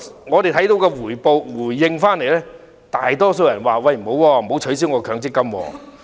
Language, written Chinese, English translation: Cantonese, 我們從回應所見，大多數人均表示不要取消其強積金。, The results showed that the majority did not agree to abolishing MPF